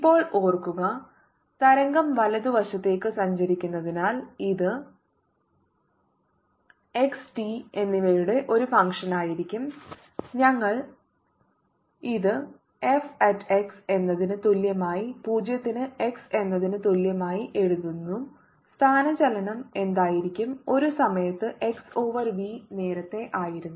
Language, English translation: Malayalam, now, recall, since the wave is travelling to the right, this is going to be a function of x and t and we had written this as f at x equals zero, at x is s is going to be